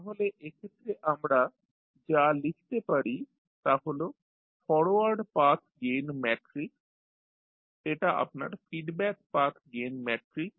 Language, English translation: Bengali, So, what we can write so in this case this is your the forward path gain matrix, this is your feedback path gain matrix